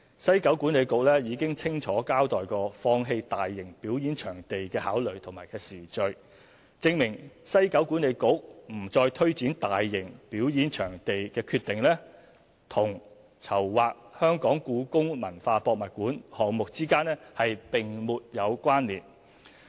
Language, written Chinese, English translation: Cantonese, 西九管理局已清楚交代放棄大型表演場地的考慮和時序，證明西九管理局不再推展大型表演場地的決定，與籌劃故宮館項目之間並沒有關連。, The clear explanation given by WKCDA on its considerations and the chronology of events leading to the decision of abandoning the mega performance venue proposal showed that the decision was not linked to the HKPM project